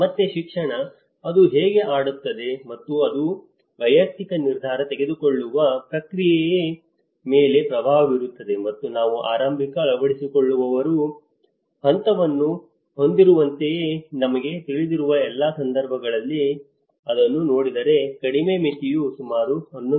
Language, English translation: Kannada, And again, education; how it plays and it influences the individual decision making process and if you look at it in all the cases you know like we have the early adopter stage, the lowest threshold is about 11